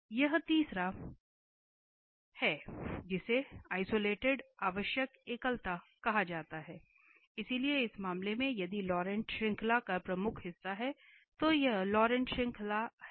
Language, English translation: Hindi, So, this is the third one now is called the isolated essential singularities, so in this case if the principal part of the Laurent series, so this is the Laurent series